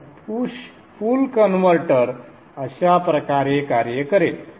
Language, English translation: Marathi, So this is how the push pull converter will operate